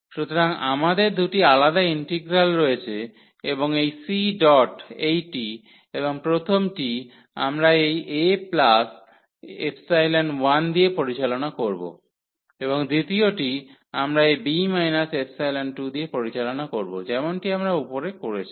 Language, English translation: Bengali, So, we will avoid we have two different integrals and c dot this 1 and the first one we will we will handle with this a plus epsilon and the second one we will handle with that point to this b minus epsilon similarly as we have done above